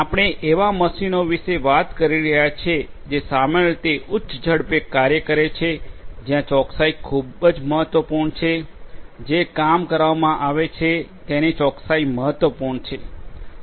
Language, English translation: Gujarati, We are talking about machines which typically operate in high speeds where precision is very important; precision of a job that is being done is important